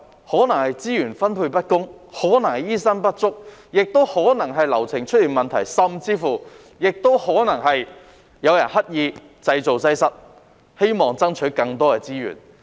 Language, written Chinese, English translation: Cantonese, 可能是資源分配不公，可能是醫生不足，也可能是流程出現問題，甚至可能是有人刻意製造擠塞，希望爭取更多資源。, It is probably due to unfair distribution of resources shortage of doctors problems with the consultation process or even an overwhelming caseload created deliberately in an attempt to get more resources